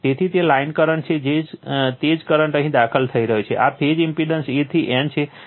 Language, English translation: Gujarati, So, it is line current same current here is entering into this phase impedance A to N